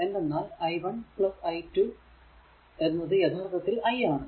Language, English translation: Malayalam, So, directly you are getting that i 1 and i 2